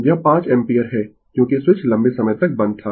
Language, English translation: Hindi, So, it is 5 ampere because the switch was closed for a long time